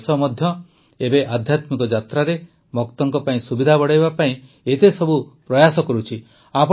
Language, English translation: Odia, That is why the country, too, is now making many efforts to increase the facilities for the devotees in their spiritual journeys